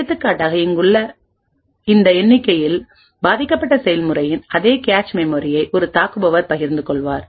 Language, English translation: Tamil, For example, in this figure over here we would have an attacker sharing the same cache memory as a victim process